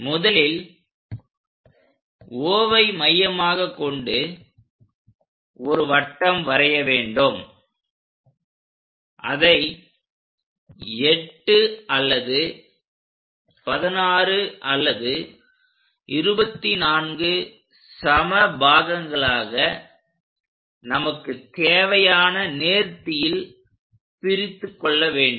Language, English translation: Tamil, First of all, using the radius O we have to construct a circle in that way then divide this circle into 8 equal parts, 16 equal parts, 24 equal parts and so on based on the smoothness how much we require